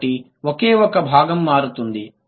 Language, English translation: Telugu, So, only one constituent